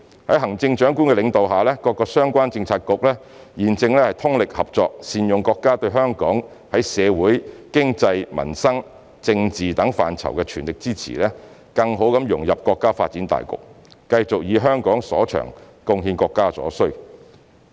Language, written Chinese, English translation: Cantonese, 在行政長官領導下，各相關政策局正通力合作，善用國家對香港在社會、經濟、民生、政治等範疇的全力支持，更好地融入國家發展大局，繼續以香港所長，貢獻國家所需。, Under the leadership of the Chief Executive all relevant bureaux are working closely together to make good use of our countrys full support for our social economic peoples livelihood and political portfolios in a bid to better integrate into the overall national development and continue to leverage Hong Kongs advantages to meet the countrys needs